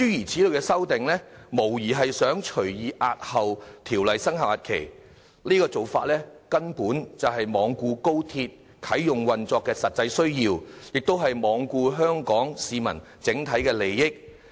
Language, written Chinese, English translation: Cantonese, 這類修訂無疑旨在隨意押後《條例草案》的生效日期，根本罔顧高鐵啟用運作的實際需要，也罔顧香港市民的整體利益。, This sort of amendments which undoubtedly seeks to arbitrarily delay the commencement date of the Bill is utterly reckless in disregarding not just the actual commencement and operational needs of the Guangzhou - Shenzhen - Hong Kong Express Rail Link XRL but also the overall interests of the people of Hong Kong